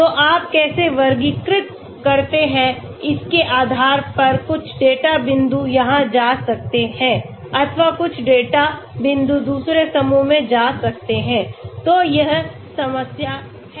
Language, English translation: Hindi, So depending upon how do you classify, some of the data points may go here or some of the data points may be going into the other group, so that is the problem